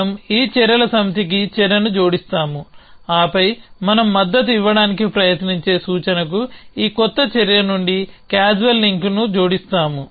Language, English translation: Telugu, We add the action to this set of actions then we add a causal link from this new action to the predicate that we a try to support